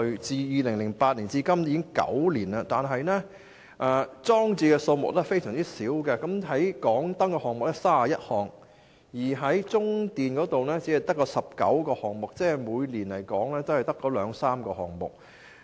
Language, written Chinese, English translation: Cantonese, 自2008年至今已9年，但裝置的數量非常少，例如港燈有31個項目，中電也只有19個項目，即每年只有兩三個項目。, It has been nine years since 2008 but there are very few such installations . For example HKE has 31 systems and CLP has 19 only . That is to say only two to three systems are installed each year